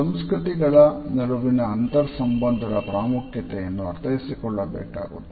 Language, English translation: Kannada, The cross cultural significance also has to be understood